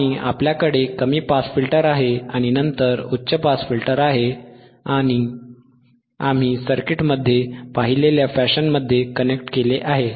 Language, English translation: Marathi, And you have low pass filter and by and then high pass filter corrected in the fashion that we have seen in the circuit;